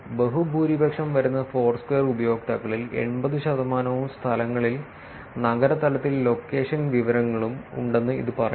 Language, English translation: Malayalam, Figure 1 the vast majority 80 percent of Foursquare users and venues have location information at the city level